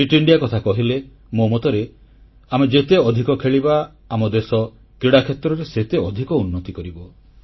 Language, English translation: Odia, When I say 'Fit India', I believe that the more we play, the more we will inspire the country to come out & play